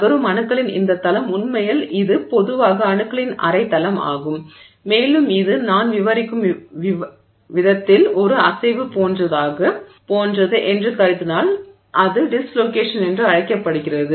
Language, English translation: Tamil, So, this plane of atoms that is moving, in fact it's typically half a plane of atoms and if it's assuming that it's like a movement along the in the manner that I'm describing, it is called a dislocation